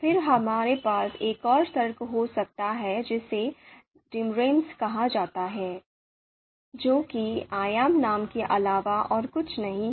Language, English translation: Hindi, Then we can also have another argument called dimnames, which is nothing but dimension names